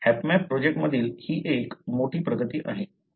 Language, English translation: Marathi, So, that is one of the major advancements in the HapMap project